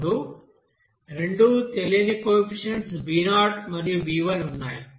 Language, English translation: Telugu, Now there are two unknown coefficient in this case b0 and b1